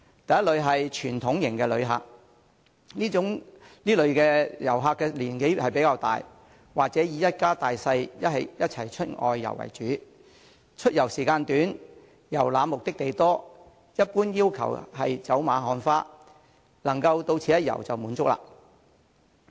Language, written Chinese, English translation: Cantonese, 第一類是傳統型遊客，此類遊客年紀較大，或以一家大小一起外遊為主，出遊時間短，遊覽目的地多，一般要求是走馬看花、能到此一遊便滿足。, The first category consists of traditional tourists who are older or mostly travel with their families . They tend to visit many destinations within a short period of travel and are generally satisfied as long as they can do some casual sightseeing upon their arrival at the destinations